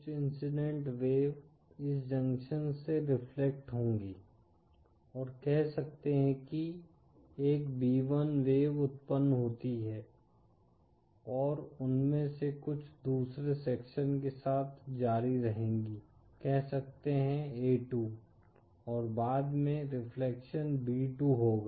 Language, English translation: Hindi, Some of the incident wave will be reflected from this junction & say produce a wave b1 & some of them will continue with second junction say a2 & after reflection will be b2